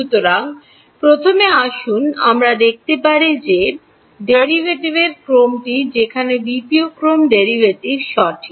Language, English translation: Bengali, So, first of all let us see what order of derivative is there second order derivative right